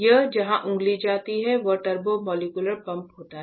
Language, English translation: Hindi, So, here where my finger goes that is where the turbomolecular pump is